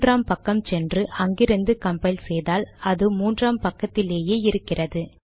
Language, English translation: Tamil, So we can go to page three, we can re compile it, it will continue to be in page three